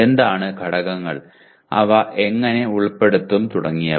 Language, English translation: Malayalam, What are the elements and how do you include them and so on